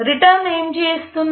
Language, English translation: Telugu, What the return will do